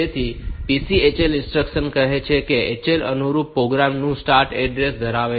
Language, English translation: Gujarati, So, this PCHL instruction what it will do after say HL is holding the start address of the corresponding program